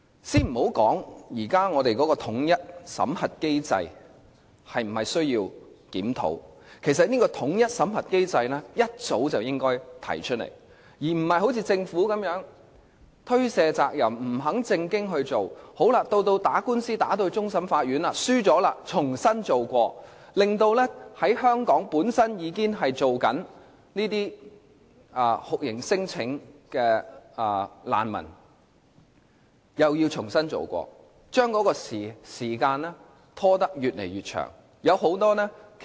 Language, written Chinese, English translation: Cantonese, 先別說現時本港的統一審核機制是否需要檢討，其實這個機制早應該提出來，而不是好像政府般推卸責任，不肯正視問題，到官司被上訴至終審法院敗訴後又要重新再做工作，而香港本身已經提出酷刑聲請的難民又要重新再做，結果時間拖得越來越長。, Let us first set aside the question of whether the present unified screening mechanism in Hong Kong needs to be reviewed . In fact the Government should have brought up this issue for discussion long ago but it has shirked its responsibility instead; it refused to face the issue squarely until it lost a case in the Court of Final Appeal . As a result all work has to be done again and the refugees who have already lodged torture claims have to do it again